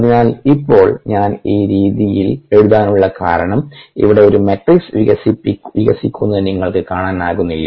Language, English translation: Malayalam, so now, the reason for me writing at this way is that can you see a matrix evolving here